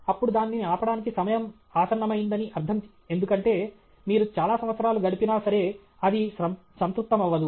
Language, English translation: Telugu, Then it is a time to go okay, because even if you spend many years it will get saturated okay